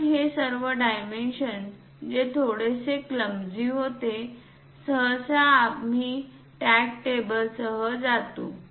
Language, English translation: Marathi, So, instead of showing all these dimensions which becomes bit clumsy, usually we go with a tag table